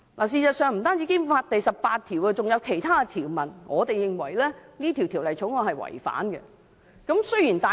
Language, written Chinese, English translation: Cantonese, 事實上，不僅是《基本法》第十八條，我們認為《條例草案》更違反了《基本法》其他條文。, In fact apart from Article 18 we think that the Bill does not comply with other provisions of the Basic Law . The President of the Legislative Council has ruled that the Bill does not contravene the Basic Law